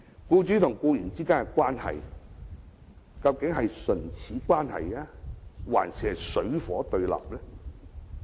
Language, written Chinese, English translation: Cantonese, 僱主和僱員之間究竟是唇齒相依的關係，還是水火不相容呢？, Are employers and employees mutually dependent or totally incompatible?